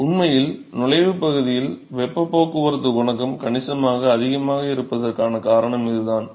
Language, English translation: Tamil, So in fact, this is the reason why the heat transport coefficient is actually significantly higher in the entry region